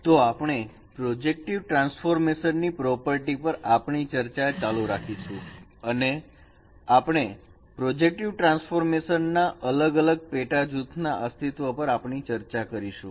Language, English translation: Gujarati, So, we will continue our discussion on the properties of projective transformation and we are discussing about the existence of different subgroups in the projective transformations, group of projective transformations